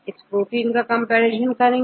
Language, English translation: Hindi, Get the composition of this particular protein